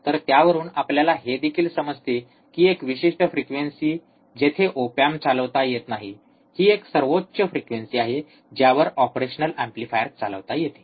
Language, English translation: Marathi, So, from that what we also understand that a particular frequency, the op amp cannot be operated, that is a maximum frequency at which the operational amplifier can be operated